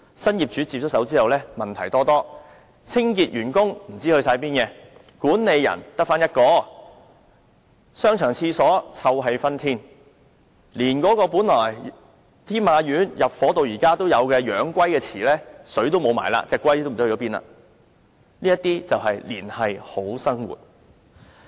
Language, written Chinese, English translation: Cantonese, 新業主接手後，商場的問題多多，清潔員工不知去向，管理員只有1人，商場廁所臭氣熏天，連天馬苑由入伙已有的養龜池亦已經乾涸，龜也不知所終——這些便是"連繫好生活"。, After the new owner took over the shopping mall has been plagued with problems . The cleaners were nowhere to be found; there was only one caretaker; the toilets in the arcades gave off a strong foul smell and even the turtles pool built since the start of occupation of Tin Ma Court has dried up and no one knows the whereabouts of the turtles―all this is how they have linked people to a brighter future